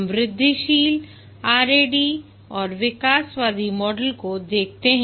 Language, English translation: Hindi, We'll look at the incremental, the rad and evolutionary model